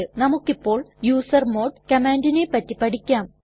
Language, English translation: Malayalam, Let us learn about the usermod command